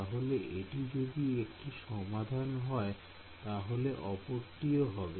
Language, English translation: Bengali, So, if this is a solution, this is also a solution right